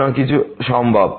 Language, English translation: Bengali, So, anything is possible